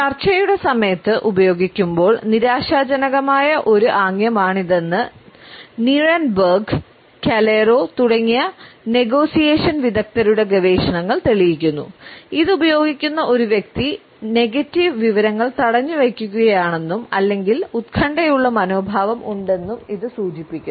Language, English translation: Malayalam, Research by Negotiation Experts Nierenberg and Calero has showed that it is also a frustration gesture when used during a negotiation, it signals that a person who is using it is holding back either a negative information or possesses and anxious attitude